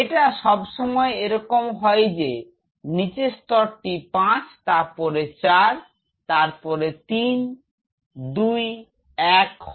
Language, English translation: Bengali, It is always like if the lowermost layer is 5 next is 4 then 3 2 1